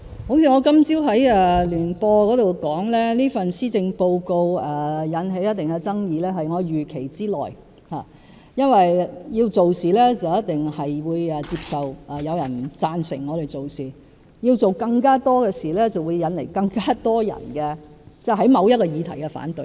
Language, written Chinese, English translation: Cantonese, 正如我今早在電台聯播節目中所說，這份施政報告引起一定的爭議是我預期之內，因為要做事一定要接受有人不贊成我們所做的事，要做更多的事，便會引來更多人對某項議題的反對。, As I said in the joint radio programme I attended this morning it is within my expectation that this Policy Address will arouse a controversy . If we set out to do something we must accept that someone may disagree with what we do and if we are to do more it will arouse opposition from more people to a certain issue